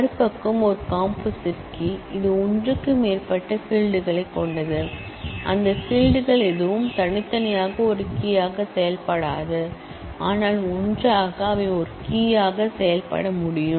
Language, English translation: Tamil, They have other side is a composite key is one, which has more than one field such that none of those fields individually can act as a key, but together they can act as a key